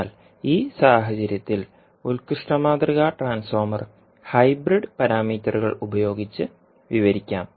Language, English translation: Malayalam, But in this case the ideal transformer can be described using hybrid parameters